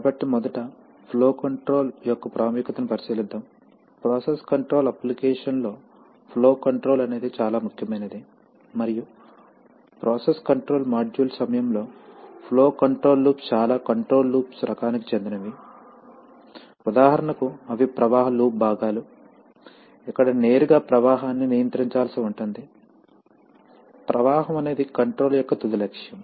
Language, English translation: Telugu, So the, first of all let us have a look at the importance of flow control, flow control is probably the most important control in a process control application and as we shall see during our process control module that flow control loops form a part of most type of control loops, for example they are parts of flow loops where directly flow has to be controlled, flow is the final objective of control